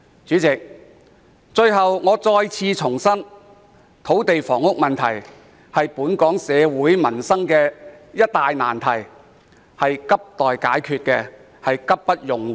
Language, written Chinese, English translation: Cantonese, 主席，最後，我希望再次重申，土地和房屋問題是本港民生的一大難題，急需解決，而且刻不容緩。, Lastly President I would like to reiterate that the land and housing issue is a livelihood conundrum in Hong Kong that needs to be urgently addressed without delay